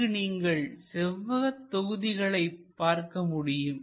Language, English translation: Tamil, And we can see there are rectangular blocks